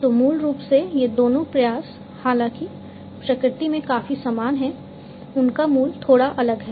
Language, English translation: Hindi, So, basically these two efforts although are quite similar in nature their origin is bit different